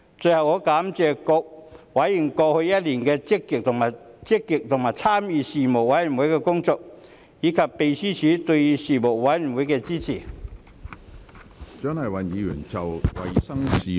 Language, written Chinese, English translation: Cantonese, 最後，我感謝各委員過去一年積極參與事務委員會的工作，以及秘書處對事務委員會的支援。, Finally I would like to thank members for their active participation in the Panels work in the past year and the Secretariat for their assistance